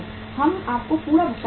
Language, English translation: Hindi, We will pay you the in full